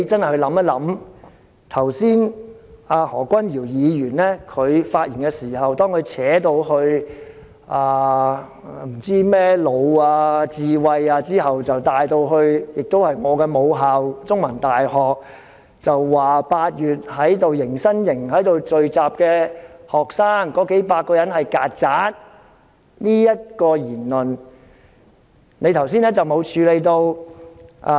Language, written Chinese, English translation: Cantonese, 何君堯議員發言時，談到甚麼智慧之後，便提到我的母校香港中文大學，指8月迎新營聚集的數百名學生是"曱甴"，你剛才沒有處理他的這項言論。, In the speech after talking about some kind of wisdom Dr Junius HO mentioned my alma mater The Chinese University of Hong Kong CUHK . He said that the few hundred students gathering in the orientation camp in August were cockroaches and you have not dealt with this remark